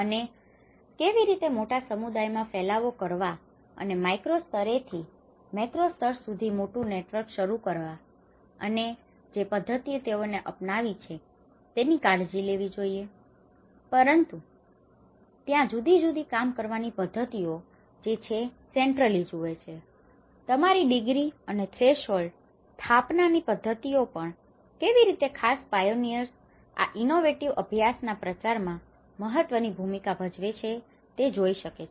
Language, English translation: Gujarati, And how it has to be taken care of to disseminate to a wider communities and to a larger network starting from a very micro level network and to a macro level network and this is one of the method which they have adopted but there are different ways one can actually look at the centrality, the degree of you know and also the putting setting up the thresholds of it, the various methods of how this particular pioneers play an important role in the diffusion of the innovative practices